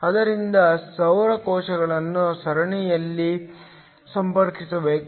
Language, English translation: Kannada, So, the solar cells should be connected in series